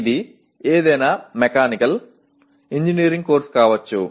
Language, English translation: Telugu, It can be any mechanical engineering course